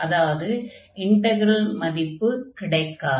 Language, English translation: Tamil, So, what is this integral value here